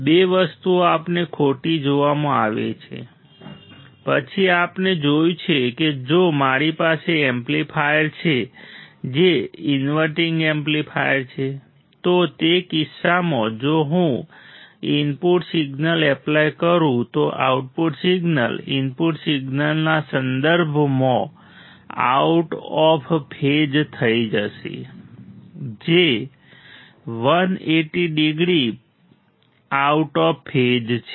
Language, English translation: Gujarati, two things we are seen incorrect; then we have seen that if I have an amplifier which is an inverting amplifier, in that case if I apply an input signal the output signal will be out of phase with respect to input signal that is 180 degree out of phase